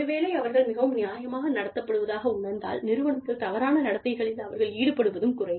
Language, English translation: Tamil, If they feel, that they are being treated fairly, they are less likely to engage in behaviors, that can be detrimental, to the organization